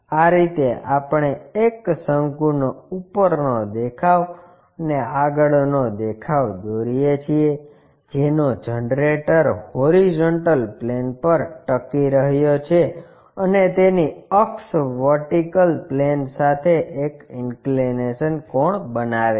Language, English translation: Gujarati, This is the way we draw top view and front view of a cone whose generator is resting on the horizontal plane and its axis is making an inclination angle with the vertical plane